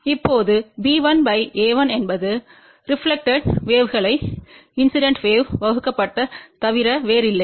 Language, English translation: Tamil, Now, b 1 by a 1 is nothing but reflected wave divided by incident wave